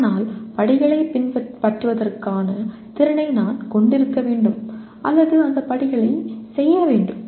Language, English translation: Tamil, But I should have the ability to follow the, or perform those steps, sequence of steps